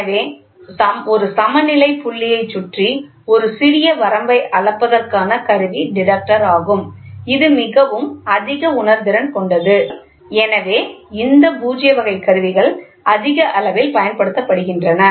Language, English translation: Tamil, So, the detector to cover a small range around a balance point and hence it is highly sensitive, so, this instrument null type instrument measurements are very well appreciated